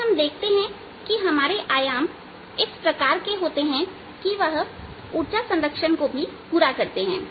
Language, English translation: Hindi, so you see that our amplitude are such that they also satisfy energy conservation